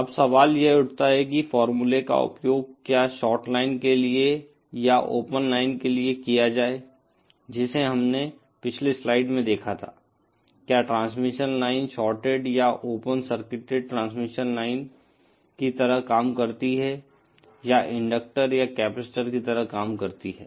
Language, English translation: Hindi, Now the question arises is this whether for the shorted line or for the open line using the formula that we saw in the previous slide, whether the transmission line acts as, shorted or open circuited transmission lines act as inductors or capacitors